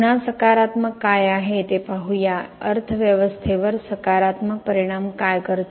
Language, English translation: Marathi, Again, let us look at what is positive, what has concrete bring that is the positive impact to the economy